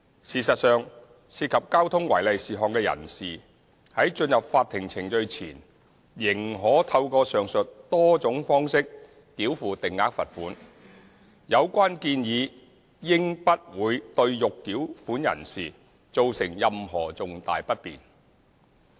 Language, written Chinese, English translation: Cantonese, 事實上，涉及交通違例事項的人士在進入法庭程序前，仍可透過上述多種方式繳付定額罰款，有關建議應不會對欲繳款人士造成任何重大不便。, In practice with various means of making fixed penalty payments in respect of traffic contraventions before any court proceedings are initiated as set out above the proposal should not cause significant inconvenience to persons who intend to make such payments